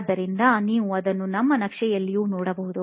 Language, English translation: Kannada, And so, you can see that in my map as well